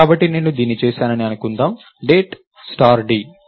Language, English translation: Telugu, So, lets say I did this, Date star d